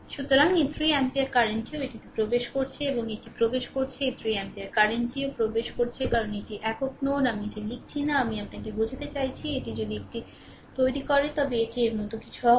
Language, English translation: Bengali, So, this 3 ampere current also it entering, it is entering right this 3 ampere current is also entering because it is a single node, ah I am not writing this, I mean if you make it like these it will be something like these